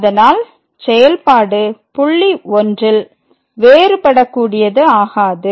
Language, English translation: Tamil, So, the function is not differentiable at the point 1